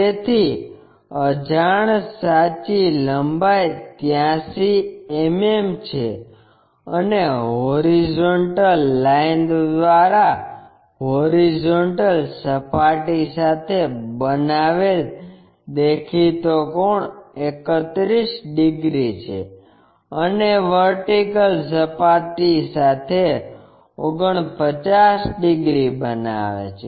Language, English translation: Gujarati, So, the unknowns true length is 83 mm and the apparent the inclination angles made by this true line with horizontal plane is 31 degrees and with the vertical plane is 49 degrees